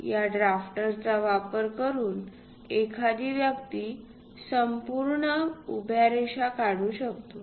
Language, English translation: Marathi, Using this drafter, one can draw complete vertical lines